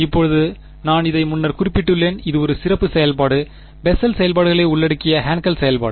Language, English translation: Tamil, Now I have mentioned this previously this is a special function, Hankel function consisting of Bessel functions right